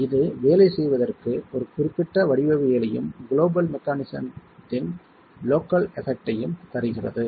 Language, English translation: Tamil, So this gives us a certain geometry to work with and an effect of the local effect of a global mechanism itself